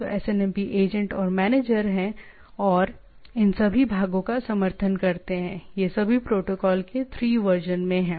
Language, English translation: Hindi, So there are SNMP agents and manager which supports all these parts, all these 3 versions of the protocol